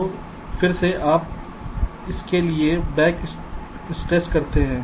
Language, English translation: Hindi, so again, you do a back stress for this